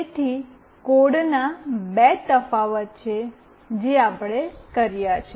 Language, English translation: Gujarati, So, there are two variation of the code that we have done